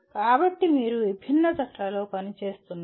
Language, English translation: Telugu, So you are working in diverse teams